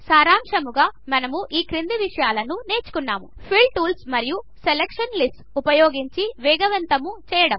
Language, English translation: Telugu, In this tutorial we will learn about: Speed up using Fill tools and Selection lists